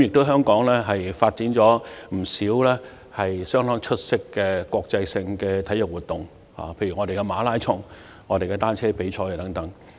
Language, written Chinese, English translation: Cantonese, 香港曾舉辦不少相當出色的國際性體育活動，例如馬拉松、單車比賽等。, Hong Kong has hosted some outstanding international sports events such as marathons and cycling competitions